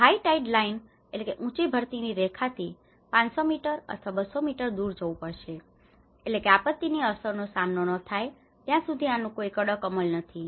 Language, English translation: Gujarati, We have to move away from the high tide line 500 meters or 200 meters away so which means there is no strict enforcement of this until we face that impact of the disaster